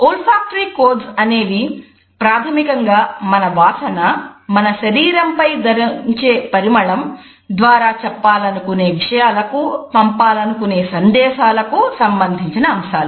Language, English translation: Telugu, Olfactory codes are basically related with the interpretation as well as the messages which we want to convey with the help of our odor, the smell which we wear on our body etcetera